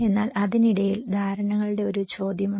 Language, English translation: Malayalam, But in between, there is a question of perceptions